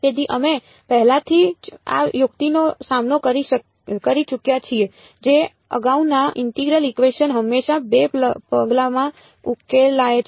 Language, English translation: Gujarati, So, we have already come across this trick earlier integral equations always solved in 2 steps